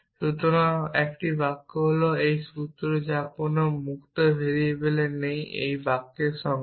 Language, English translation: Bengali, So, a sentence is a formula with no free variables this is definition of a sentence